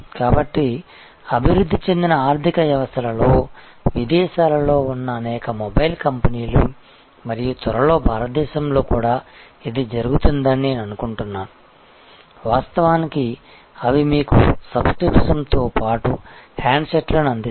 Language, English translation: Telugu, So, many mobile companies abroad in developed economies and I think soon it will happen in India too, they actually provide you handsets along with a subscriptions